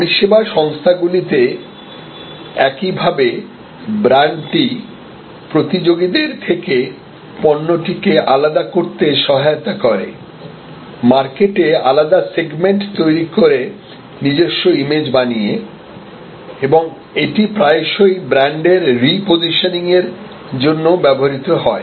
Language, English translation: Bengali, In the same way to the service organizations, brand helps to differentiate the product from competitors, segment market by creating tailored images, it is also often used for repositioning the brand